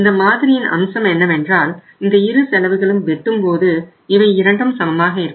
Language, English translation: Tamil, And that is the beauty of this model that both the costs where both the costs are equal when they intersect with each other